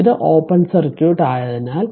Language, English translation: Malayalam, As this is your open circuit